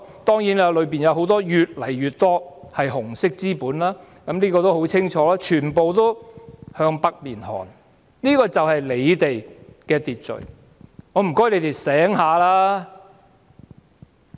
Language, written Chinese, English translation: Cantonese, 當然，當中越來越多是紅色資本，這是已經很清楚的，全部也要向北面看，這便是政府的秩序。, Of course more and more red capital is involved and this is already very conspicuous . Everyone is looking northward and this is the order to the Government